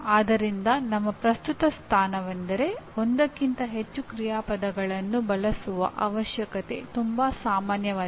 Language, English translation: Kannada, So our current position is the need for using more than one action verb is not that very common